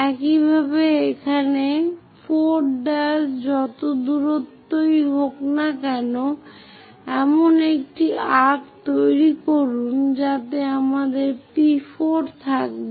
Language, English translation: Bengali, Similarly, here to 4 prime whatever distance is there make an arc such that we will have P4